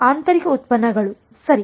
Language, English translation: Kannada, Inner products right